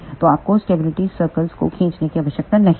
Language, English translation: Hindi, So, you do not have to draw the stability circles